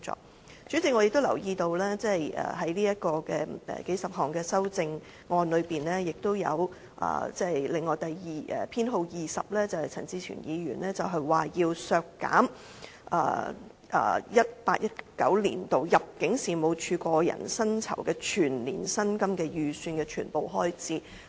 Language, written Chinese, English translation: Cantonese, 代理主席，我亦留意到在數十項修正案中，陳志全議員提出修正案編號 20， 建議削減 2018-2019 年度入境事務處個人薪酬的全年薪金預算開支。, Deputy Chairman I also notice that among the dozens of amendments Amendment No . 20 put forth by Mr CHAN Chi - chuen proposes to cut the estimated annual expenditure for the personal emoluments of the Immigration Department ImmD in 2018 - 2019